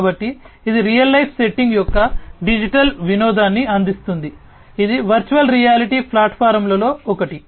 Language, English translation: Telugu, So, it offers a digital recreation of the real life setting, which one the virtual reality platforms